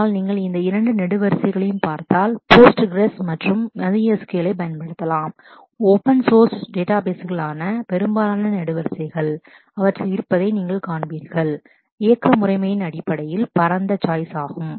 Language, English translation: Tamil, But you can use Postgres and MySQL actually, if you look into these two columns, right most columns which are for the open source databases, you will find that they have the widest choice in terms of operating system